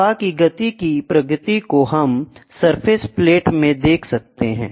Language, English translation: Hindi, The speed of flow can be done by timing the progress of a surface plot